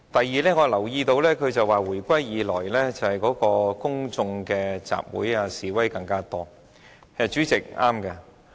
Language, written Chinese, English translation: Cantonese, 此外，我留意到他表示回歸以來公眾集會和示威越來越多，他說得對。, Moreover I have noticed he said that there had been an increasing number of public assemblies and demonstrations since the reunification . He was right in saying that